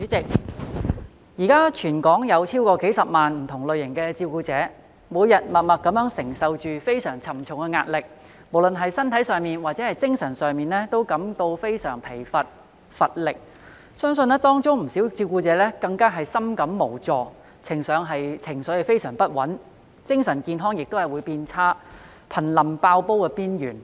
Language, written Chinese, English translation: Cantonese, 代理主席，現時全港有超過數十萬名不同類型的照顧者，每天默默地承受着非常沉重的壓力，無論是身體上或精神上均感到非常疲乏無力，相信當中不少照顧者更深感無助，情緒非常不穩，以致精神健康變差，瀕臨"爆煲"邊緣。, Deputy President at present there are hundreds of thousands of carers of various kinds in Hong Kong silently carrying a very heavy burden every day feeling exhausted and lethargic both physically and mentally . I believe many carers also feel utterly helpless and emotionally unstable which has worsened their mental health and put them on the verge of breakdown